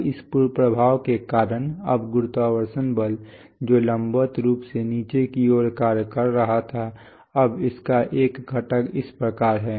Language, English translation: Hindi, Now due to this effect now the gravity force which was acting vertically down now it has a component this way